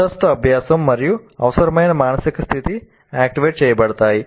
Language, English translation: Telugu, So the prior learning and the required mental are activated